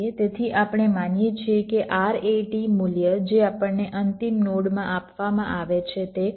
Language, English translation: Gujarati, so we assume that the, that the r a t value that is given to us of the final node is five point five